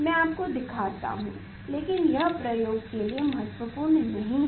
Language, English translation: Hindi, that let me show you, but this that is not important; that is not the important for the experiment